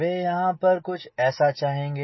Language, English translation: Hindi, they will prefer here something like this